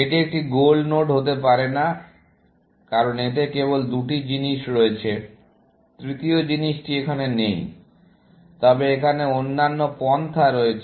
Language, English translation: Bengali, This cannot be a goal node, because it has only two things; the third thing is not there, essentially, but there are other approaches